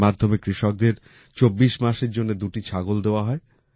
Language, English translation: Bengali, Through this, farmers are given two goats for 24 months